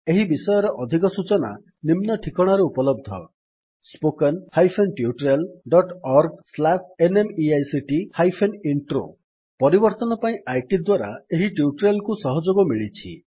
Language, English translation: Odia, More information on the same is available at spoken hyphen tutorial dot org slash NMEICT hypen Intro This tutorial has been contributed by IT for change